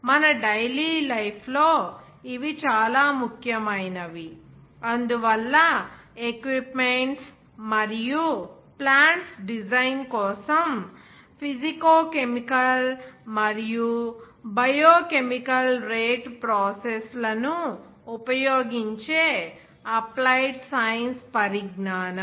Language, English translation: Telugu, Which are very important for our daily life so for that the knowledge of applied sciences that employs physicochemical and biochemical rate processes for the design of equipment and plant